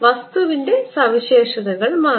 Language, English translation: Malayalam, properties of the material have changed